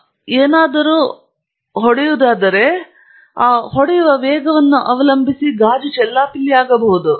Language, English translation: Kannada, So, if something strikes it, depending on the velocity with which it strikes it the momentum it has, the glass can shatter